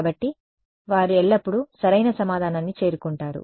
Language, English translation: Telugu, So, they always reach the correct answer